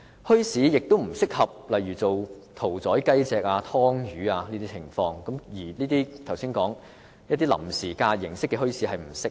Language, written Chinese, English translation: Cantonese, 墟市也不適合屠宰雞隻、劏魚等，故我剛才指出臨時假日形式的墟市並不適合。, Neither are bazaars suitable for the slaughtering of chicken killing of fish and so on . This explains why I pointed out just now that temporary and holiday bazaars were not viable options